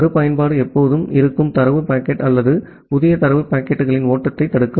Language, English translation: Tamil, And retransmit always block the flow of the existing data packet or the new data packets